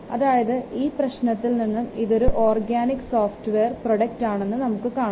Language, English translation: Malayalam, So as you can see from the problem, it is given as organic software product